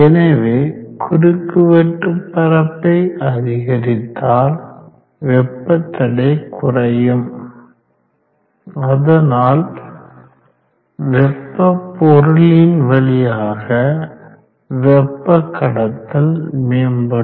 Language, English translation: Tamil, So great of the cross sectional area smaller will be the thermal resistance and better will be the heat conduction through that material